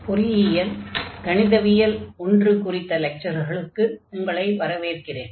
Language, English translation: Tamil, So, welcome to the lectures on Engineering Mathematics 1, and this is lecture number 24